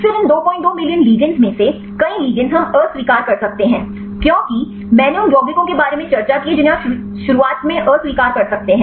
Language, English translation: Hindi, 2 million ligands; several ligands we can reject; because I discussed about the compounds which you can reject at the beginning